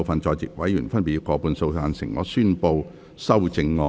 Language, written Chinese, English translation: Cantonese, 全體委員會現在逐一表決修正案。, The committee will now vote on the amendments one by one